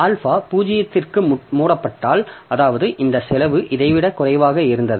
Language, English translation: Tamil, So, if alpha is close to 0, that means the this, this cost was less than this one